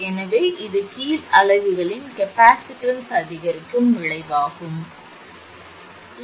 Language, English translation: Tamil, So, this has effect that it will increase the capacitance of the bottom units